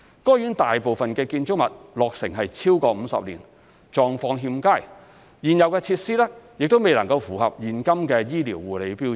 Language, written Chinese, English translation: Cantonese, 該院大部分建築物落成逾50年，狀況欠佳，現有設施未能符合現今的醫療護理標準。, Most of its buildings were constructed over 50 years ago and their physical conditions have deteriorated to an undesirable state . The existing facilities of WTSH also lag behind modern healthcare standards